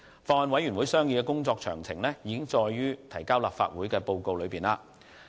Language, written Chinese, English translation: Cantonese, 法案委員會商議的工作詳情已載於提交立法會的報告。, Details of the Bills Committees deliberations are as set out in the report submitted to the Legislative Council